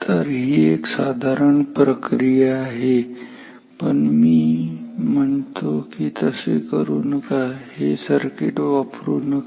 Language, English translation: Marathi, So, this is normal procedure, but I am saying that do not do this, do not use this circuit